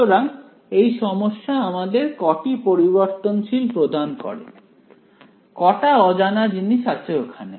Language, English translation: Bengali, So, how many variables does this problem present, how many unknowns are there